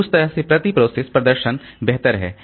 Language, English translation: Hindi, So, that way it is per process performance is better